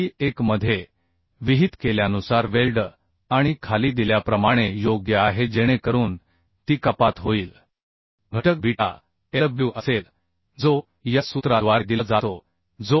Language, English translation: Marathi, 3 and is as given below right So that reduction factor will be beta Lw that is given by this formula that is 1